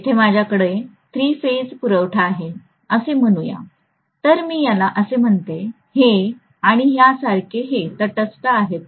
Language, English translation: Marathi, Let us say I have a three phase supply here, so let me call this as VA, this as VB and this as VC and this is the neutral, okay